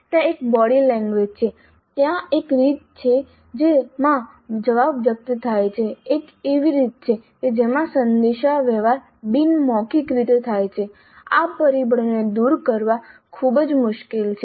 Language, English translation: Gujarati, There is a body language, there is a way in which the answer is expressed, there is a way in which the communication takes place non verbally